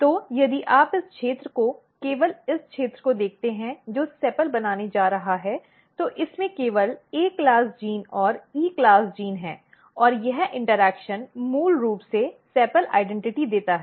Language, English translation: Hindi, So, if you look this region only this region which is going to make sepal, sepal it has only A class gene and E class gene and this interaction basically gives sepal identity